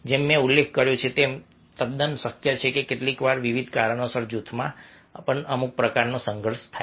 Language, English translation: Gujarati, ah, as i mention that, its quite possible that sometimes, due to various regions, some sort of conflict might occur in a group as well